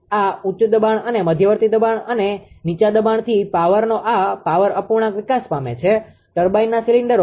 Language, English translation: Gujarati, This high pressure and intermediate pressure and low pressure this power fraction of power developed, in the cylinders of the turbine